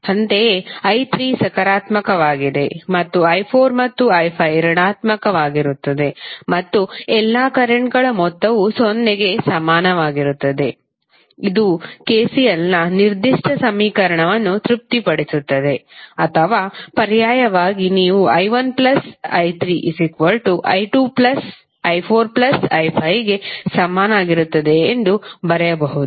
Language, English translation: Kannada, Similarly, i3 ¬is positive and i¬4 ¬¬and i¬5¬ are negative and the sum of all the currents would be equal to 0 which is satisfying the particular equation of KCL or alternatively you can write that i¬1 ¬plus i¬3 ¬is equal to i¬¬¬2¬ plus i¬¬4 ¬plus i¬5¬